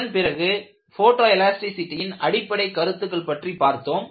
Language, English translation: Tamil, Then, we moved on to look at what is the basics of photoelasticity; it is very simple fashion